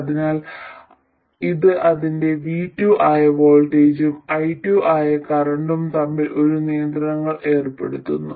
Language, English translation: Malayalam, So, this imposes a constraint between its voltage which is V2 and its current which is I2